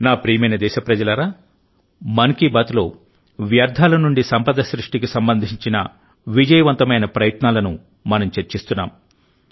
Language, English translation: Telugu, My dear countrymen, in 'Mann Ki Baat' we have been discussing the successful efforts related to 'waste to wealth'